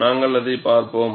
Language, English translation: Tamil, We will also have a look at it